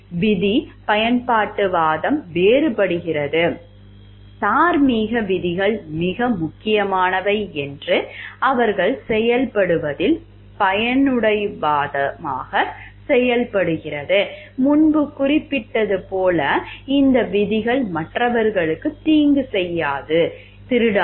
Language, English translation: Tamil, Rule utilitarianism differs them act utilitarianism in holding that moral rules are more important most important, as mentioned previously these rules include do not harm others, do not steal